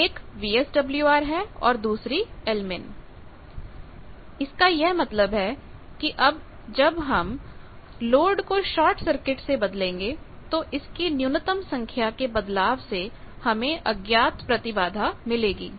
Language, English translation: Hindi, One is VSWR another is l min; that means, shift in minima when load is change from short circuit to any unknown impedance